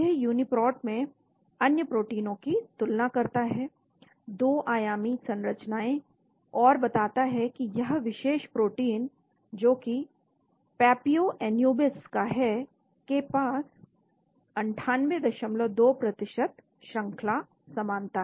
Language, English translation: Hindi, So it compares other proteins in the Uniprot, 2 dimensional sequences and says this particular protein, from papio anubis, has a sequence similarity of 98